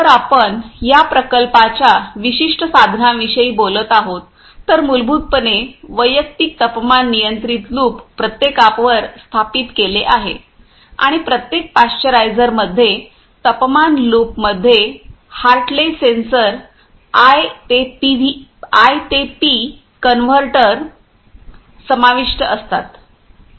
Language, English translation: Marathi, If we talking about this particular plants instrumentations, basically the individual temperature controls loops are installed on each and every pasteurisers the temperature loops includes the Hartley sensors I to P convertors